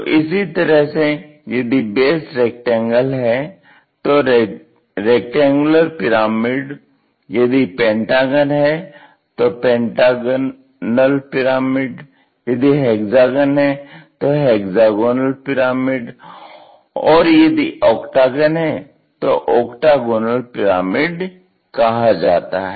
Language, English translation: Hindi, Similarly, rectangular pyramid having base pentagonal pyramid having a base of pentagon, and ah hexagonal and octagonal pyramids also